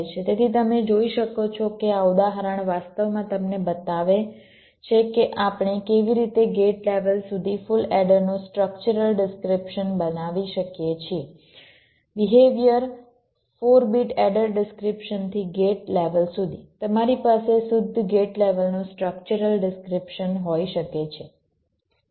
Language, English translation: Gujarati, these example actually shows you that how we can create a structural description of a full adder down to the gate level from the behavior four bit, add a description down to the gate level, you can have a pure gate levels structural description